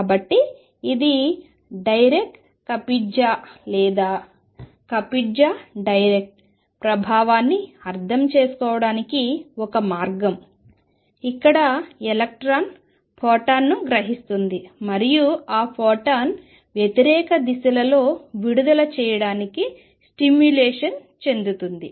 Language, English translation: Telugu, So, this is a way of understanding Dirac Kapitza or Kapitza Dirac effect, where electron absorbs a photon and then it is stimulated to emit that photon in the opposite directions we gets twice the kick